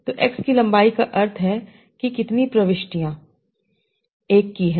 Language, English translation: Hindi, So length of x means how many entries are 1